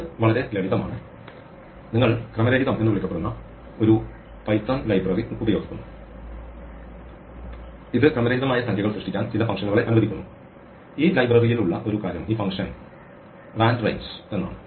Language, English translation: Malayalam, It is very simple, you use a python library called random which allows you some functions to generate random numbers and one of the things that this library has is this function randrange